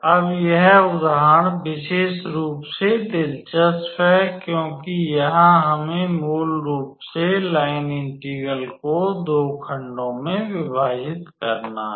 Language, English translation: Hindi, Now, this example is in particular interesting because here we have to divide the line integrals into two segments basically